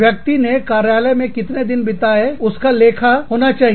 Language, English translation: Hindi, The number of days, that the person spends in the office, has to be accounted for